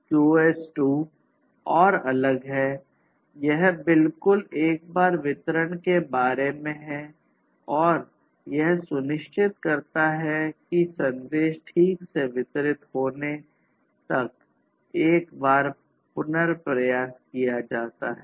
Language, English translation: Hindi, QoS 2 is further different; it is about exactly once delivery and ensuring that and the retry over here is performed until the message is delivered exactly once